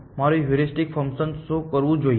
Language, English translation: Gujarati, What should my heuristic function do